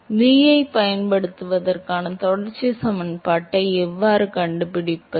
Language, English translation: Tamil, So, how do we find v use continuity equation